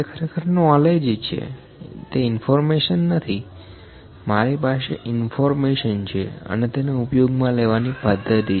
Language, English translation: Gujarati, It is knowledge actually, it is not the information, I can I have the information the procedure to use this